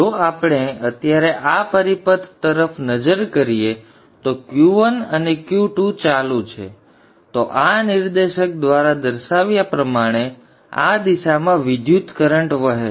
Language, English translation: Gujarati, So if you look at this circuit now, so Q1 and Q2 are on, there was a current flowing in this direction as shown by this pointer